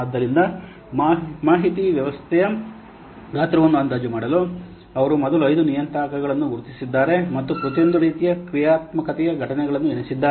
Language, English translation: Kannada, So, in order to estimate the size of an information system, he has counted, he has first identified five parameters and counted the occurrences of each type of functionality